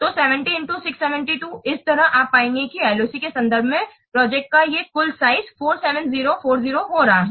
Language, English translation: Hindi, In this way you will get that this total size of the project in terms of LOC is coming to be 47040